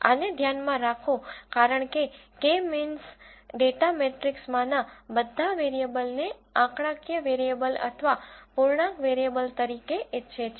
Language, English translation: Gujarati, Keep this in mind because the K means wants all the variables in the data matrix as the numeric variables or integer variables